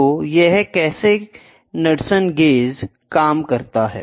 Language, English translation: Hindi, So, this is how Knudsen gauge works